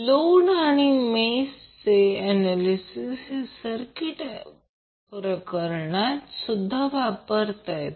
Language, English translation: Marathi, Also, the Nodal and mesh analysis can be used in case of AC circuits